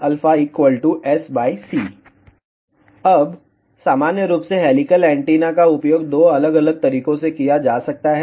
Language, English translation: Hindi, Now, helical antennas in general can be used in two different modes